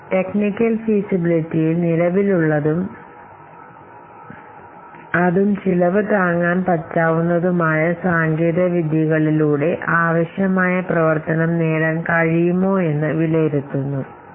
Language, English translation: Malayalam, So, the technical assessment consists of evaluating whether the required functionality can be achieved with current affordable technologies